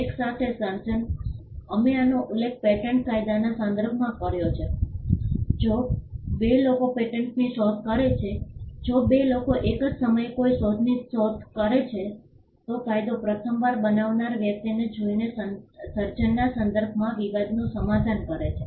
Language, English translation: Gujarati, Simultaneous creation we had mentioned this in the context of patent law if two people invent a patent if two people invent an invention at the same time law settles dispute with regard to creation by looking at the person who created it the first time